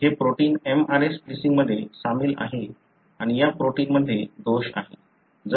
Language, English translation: Marathi, So, this protein is involved in mRNA splicing and this protein is having a defect